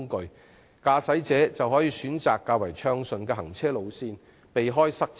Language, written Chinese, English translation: Cantonese, 另一方面，駕駛者亦可選擇較暢通的行車路線，避免塞車。, On the other hand motorists can also select smoother driving routes to avoid congestion